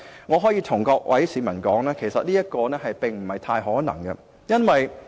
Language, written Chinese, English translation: Cantonese, 我可以告訴各位市民，這樣做不太可能。, I can tell members of the public that this is very unlikely